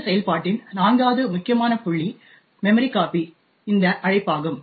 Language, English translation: Tamil, The fourth critical point in this function is this invocation to memcpy